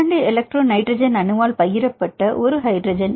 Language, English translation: Tamil, A hydrogen shared by two electro nitrogen atom; this attract interaction